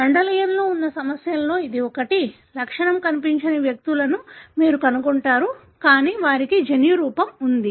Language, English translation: Telugu, This is one of the complications in Mendelian; you would find individuals that don’t show symptom, but yet they are having a genotype